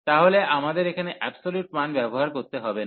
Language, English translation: Bengali, So, we do not have to use the absolute value here